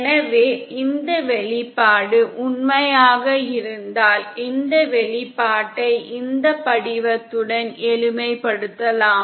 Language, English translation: Tamil, So then in case if this expression holds true then we can simplify this expression with this form